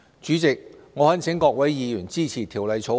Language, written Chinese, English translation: Cantonese, 主席，我懇請各位議員支持《條例草案》。, President I implore Honourable Members to support the Bill